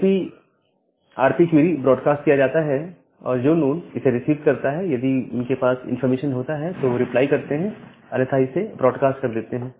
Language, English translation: Hindi, So, the query ARP query is broadcasted and the nodes which receive that, if they have the information they reply back otherwise, they further broadcast it